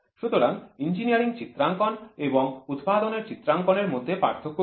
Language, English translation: Bengali, So, what is the difference between the engineering drawing and manufacturing drawing